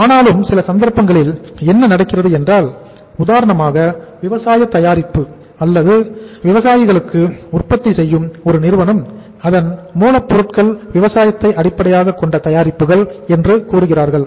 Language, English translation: Tamil, But in certain cases what happens that say for example a company which is manufacturing the agricultural product or agriculture means they are say uh raw material is agriculture based products